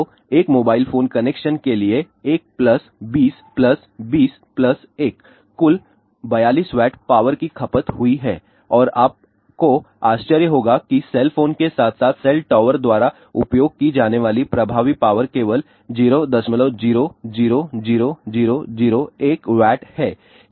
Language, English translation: Hindi, So, for one mobile phone connection 1 plus 20 plus 20 plus 1 total 42 watt power has been consumed and you will be surprised that affective power used by cell phones as well as cell tower is only 0